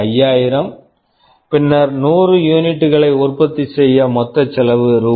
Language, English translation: Tamil, 5000, then for manufacturing 100 units the total cost becomes Rs